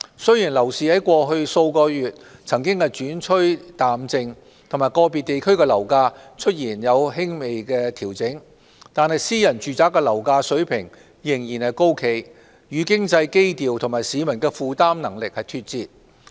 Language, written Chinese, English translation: Cantonese, 雖然樓市在過去數月曾轉趨淡靜及個別地區的樓價出現輕微調整，但私人住宅樓價水平仍然高企，與經濟基調和市民的負擔能力脫節。, Although the property market has slackened in the past few months and the property prices in some areas have slightly adjusted the level of private residential property prices remain high and is out of line with the economic tone and the affordability of the public